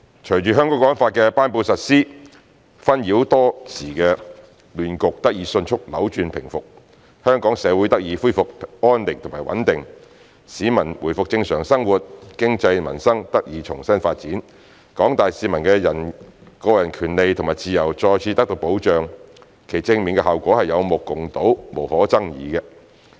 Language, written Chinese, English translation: Cantonese, 隨着《香港國安法》的頒布實施，紛擾多時的亂局得以迅速扭轉平復，香港社會得以回復安寧和穩定，市民回復正常生活，經濟和民生得以重新發展，廣大市民的個人權利和自由再次得到保障，其正面效果是有目共睹、無可爭議的。, Following the promulgation and implementation of NSL the long - standing messy situation in Hong Kong was reversed with chaos having ebbed in no time . As social tranquility and stability have been restored peoples life returned to normal both the economy and peoples livelihoods got a fresh start and the rights and freedoms of the general public have once again been guaranteed . Indeed all such positive effects of those actions and measures are indisputably obvious to everyone